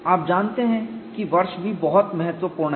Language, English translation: Hindi, You know year is also very important